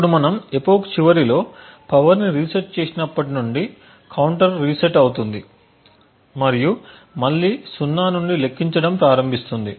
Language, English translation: Telugu, Now since we reset the power at the end of the epoch the counter would reset and start counting gain to zero